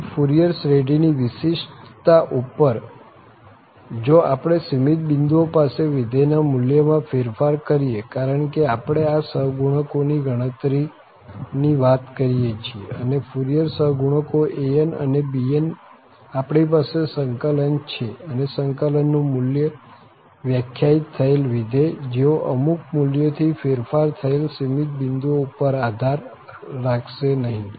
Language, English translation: Gujarati, Second on the uniqueness of the Fourier series, so if we alter the value of the function at finite number of points, because we are talking about computing these coefficients say, and Fourier coefficients an and bn’s, we have the integrals and the integrals value will not read the function defined at just they differ by value at finitely many points